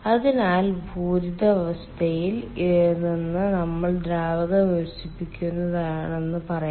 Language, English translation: Malayalam, so lets say, from the saturated condition we are expanding the fluid